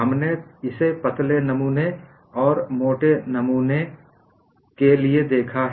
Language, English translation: Hindi, We have seen it for a thin specimen and a thick specimen